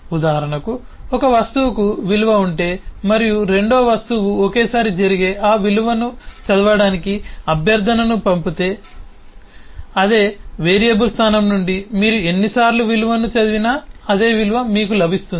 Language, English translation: Telugu, for example, if an object has a value and two other object send request to read that value, that can happen simultaneously, because it does not matter how many times you read a value from the same variable location